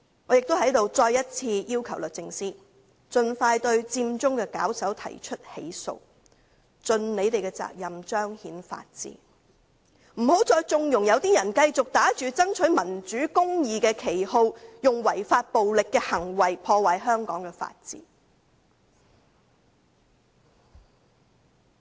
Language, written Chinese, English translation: Cantonese, 我在此亦再次要求律政司，盡快對佔中的發起人提出起訴，盡責任彰顯法治，不要再縱容一些人繼續打着"爭取民主公義"的旗號，以違法、暴力的行為破壞香港的法治。, Here I also request DoJ again to expeditiously prosecute the organizers of Occupy Central to fulfill its duty of upholding the rule of law . Do not tolerate any more illegal and violent acts that ruin the rule of law in Hong Kong under the banner of fighting for democracy and justice